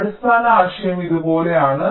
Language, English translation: Malayalam, so the basic idea is something like this